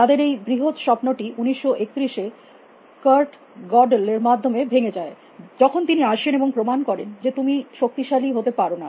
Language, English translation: Bengali, There great dream or shattered and 1931 by Kurt Godel, when he came and proved that you cannot become powerful